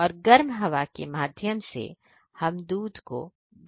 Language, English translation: Hindi, With help of the hot air we dry them milk